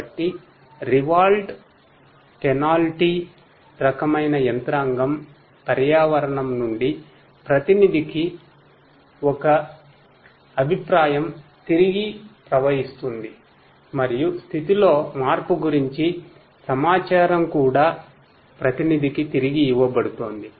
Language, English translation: Telugu, So, a reward penalty kind of mechanism, a feedback from the environment to the agent flows back and also the information about the change in the state is also fed back to the agent